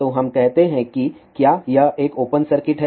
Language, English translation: Hindi, So, let us say if this is an open circuit